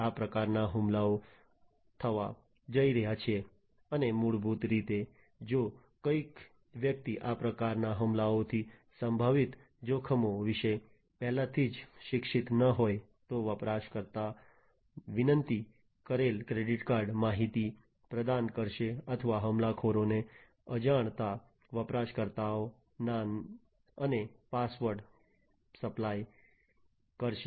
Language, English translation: Gujarati, So, these kind of attacks are going to be made and that will basically if somebody is not already educated about the potential threats from these kind of attacks, then they will the user would supply the credit card information that is requested or supply the username and password to the attacker unintentionally and that way they will lose access to their system